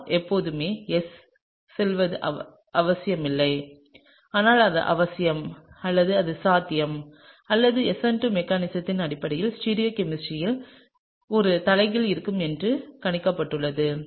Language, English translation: Tamil, It’s not necessary that R will always go to S, but it is necessary or it is likely or it is predicted based on SN2 mechanism that there would be an inversion in stereochemistry, right